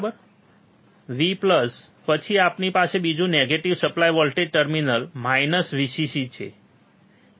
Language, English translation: Gujarati, V plus then we have second negative supply voltage terminal minus Vcc which is this one